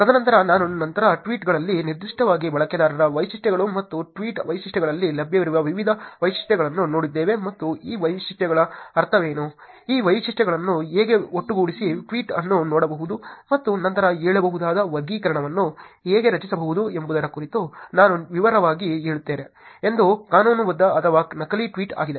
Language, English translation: Kannada, And then, we later looked at different features that are available in tweets particularly user features and that tweet features and we tell detail about what these features mean, how these features can be put together to create a classifier which can look at tweet and then say that whether it is legitimate or fake tweet